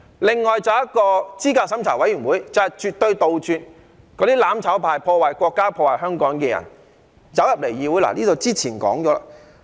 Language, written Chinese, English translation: Cantonese, 此外，候選人資格審查委員會是為了絕對杜絕"攬炒派"、破壞國家及香港的人加入議會，這些之前已說過了。, In addition the establishment of the Candidate Eligibility Review Committee is to prevent the mutual destruction camp those who wreak havoc on the country and Hong Kong from entering the legislature downright . We have talked about these before